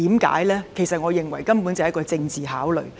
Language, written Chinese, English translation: Cantonese, 其實，我認為根本就是一個政治考慮。, In fact I think this is after all a political consideration